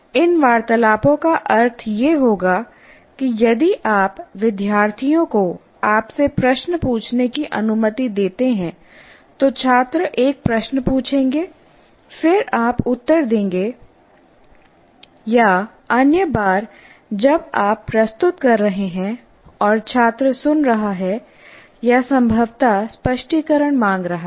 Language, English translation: Hindi, These conversations would mean if you allow students to ask you questions, student will ask a question, then you answer, or other times you are presenting and the student is listening or possibly seeking clarifications